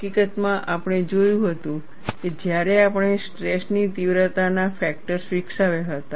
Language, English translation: Gujarati, In fact, we had seen that, when we had developed stress intensity factors